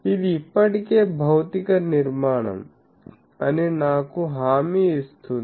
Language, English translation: Telugu, That already guaranties me that physically constructed